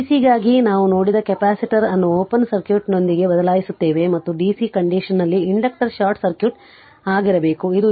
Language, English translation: Kannada, We replace the capacitor with an open circuit for dc just we have seen for capacitor and for dc condition inductor should be short circuit